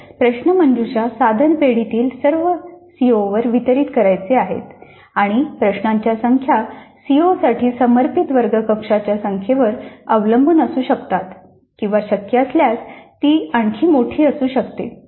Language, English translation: Marathi, So the items in the quiz item bank are to be distributed over all the Cs and the numbers can depend upon the number of classroom sessions devoted to those COs or it can be even larger number if it is possible